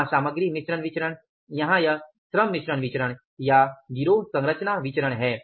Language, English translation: Hindi, Here it is the labor mix variance or the gang composition variance